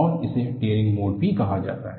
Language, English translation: Hindi, And, this is also called as Tearing Mode